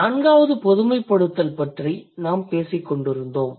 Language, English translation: Tamil, So, um, we were talking about the fourth, the fourth generalization